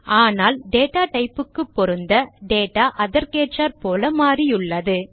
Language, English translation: Tamil, But to suit the data type, the data has been changed accordingly